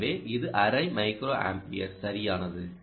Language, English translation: Tamil, right, so its half a microampere, which is very good